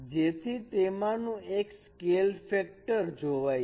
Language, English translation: Gujarati, So one of them can be treated as a scale factor